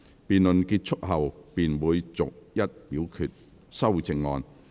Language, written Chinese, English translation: Cantonese, 辯論結束後便會逐一表決修正案。, Upon conclusion of the debate the amendments will be put to vote one by one